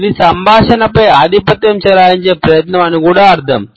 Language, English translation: Telugu, It is also understood as an attempt to dominate the conversation